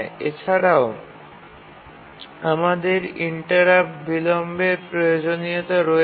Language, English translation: Bengali, And also we have interrupt latency requirements